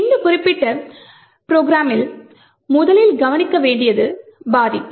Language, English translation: Tamil, The first thing to note in this particular program is the vulnerability